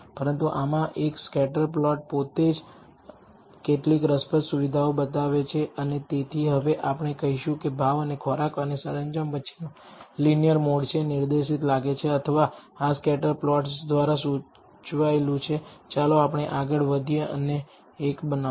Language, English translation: Gujarati, But in this just a scatter plot itself reveals some interesting features and so we will now go ahead and say perhaps a linear mode between price and food and decor is, seems to be pointed out or, indicated by this scatter plots let us go ahead and build one